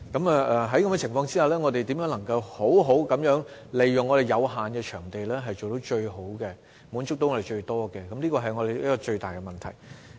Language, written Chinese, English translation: Cantonese, 在這情況下，我們如何能夠好好地利用有限的場地滿足自己，是最大的問題。, Hence the most important thing is to make the proper use of the limited venues to satisfy the demand in society